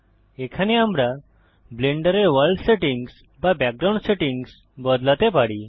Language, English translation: Bengali, Here we can change the world settings or background settings of Blender